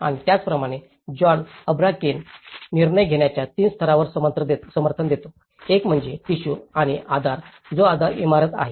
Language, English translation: Marathi, And similarly, John Habraken supports on 3 levels of decision making; one is the tissue and the support which is the base building